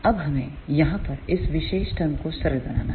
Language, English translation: Hindi, Now, we have to simplify this particular term over here